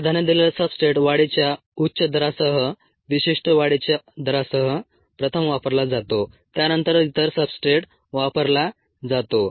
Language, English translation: Marathi, the preferred substrate gets a taken up first, with a typically higher growth rate, specific growth rate, followed by the other substrate